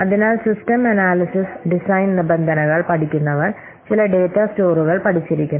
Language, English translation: Malayalam, So, those who have studied system analysis design terms, you must have studies some data stores